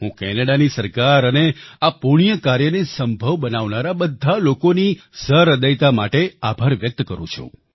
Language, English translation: Gujarati, I express my gratitude to the Government of Canada and to all those for this large heartedness who made this propitious deed possible